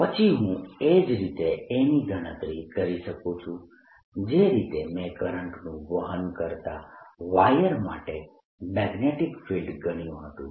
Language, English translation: Gujarati, can i then calculate a on the axis, just like i calculated magnetic field for a current carrying wire